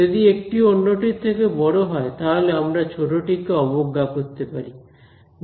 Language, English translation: Bengali, If one is much bigger than the other, I can ignore the smaller one